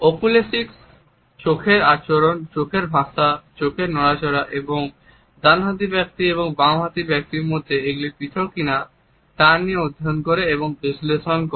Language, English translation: Bengali, Oculesics studies and analyzes the behavior of the eyes the language of the eyes the movements of the eyes and whether it is different in a right handed person and in a left handed person